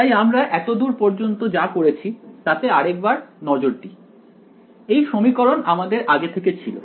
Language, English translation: Bengali, So, let us look at what we have already done, this was the equation that we had alright